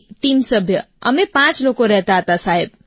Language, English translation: Gujarati, Yes…team members…we were five people Sir